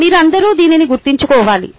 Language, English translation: Telugu, you should all remember this